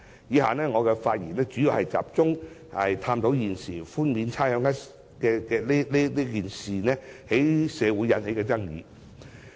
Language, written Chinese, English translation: Cantonese, 以下發言，我主要集中探討現時寬免差餉一事在社會引起的爭議。, I will instead mainly focus on examining the controversies in the community arising from the current rates concession